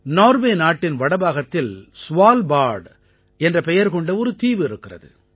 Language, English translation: Tamil, There is an island named Svalbard in the north of Norway